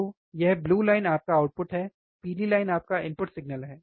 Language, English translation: Hindi, So, this blue line is your output, the yellow line is your input signal